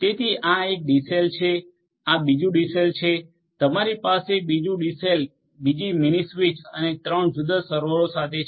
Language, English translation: Gujarati, So, this is one DCell this is another DCell, you can have another DCell with another mini switch and three different servers in the likewise manner